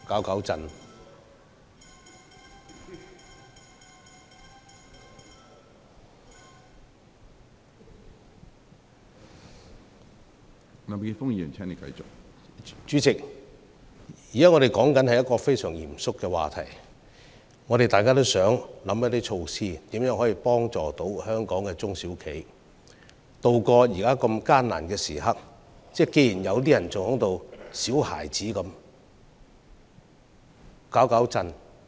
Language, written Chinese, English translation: Cantonese, 主席，我們現時討論的是一個相當嚴肅的話題，大家也想提出能協助本港中小企渡過現時艱難時刻的措施，但竟然還有人像小孩子般在此生事。, Chairman what we are now discussing is a very serious subject and all of us do wish to come up with measures that can help local SMEs tide over the tough times . Yet some people still behave like a child in an attempt to mess up the meeting